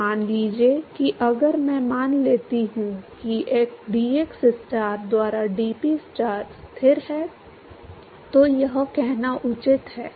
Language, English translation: Hindi, So, supposing if I assume that dPstar by dxstar is constant, it is a fair thing to say